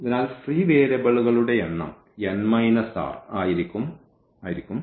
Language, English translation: Malayalam, So, number of free variables will be n minus r